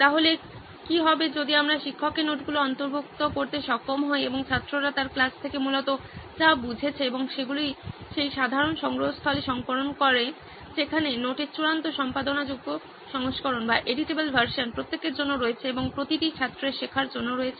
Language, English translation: Bengali, So what if we are able to incorporate the teacher’s notes and then understanding that is coming from the students from her class basically and compile that all into the that common repository wherein a finalized editable version of the note is present for each and every student to learn